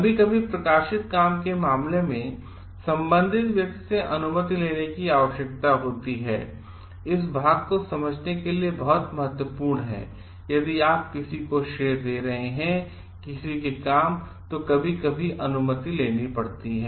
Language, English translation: Hindi, Sometimes in case of published work, permission needs to be sought from the concerned person this part is very important to understand like; if you are citing someone somebody s work, sometimes permission requires to be taken